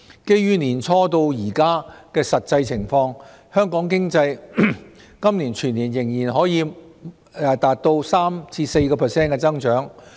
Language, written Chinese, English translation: Cantonese, 基於年初至今的實際情況，香港經濟今年全年仍可望達到 3% 至 4% 的增長。, In the light of the actual situation since the beginning of the year Hong Kong economy is expected to reach an annual growth of 3 % to 4 % this year